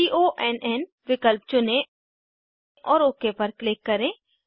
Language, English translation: Hindi, Choose conn option and click on OK